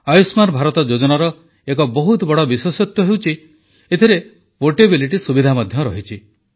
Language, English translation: Odia, An important feature with the 'Ayushman Bharat' scheme is its portability facility